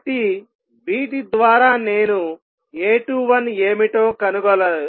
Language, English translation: Telugu, So, through these I can determine what A 21 would be